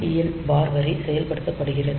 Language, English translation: Tamil, So, this is the PSEN bar line is activated